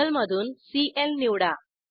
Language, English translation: Marathi, Select Cl from table